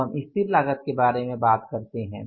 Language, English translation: Hindi, We talk about the fixed cost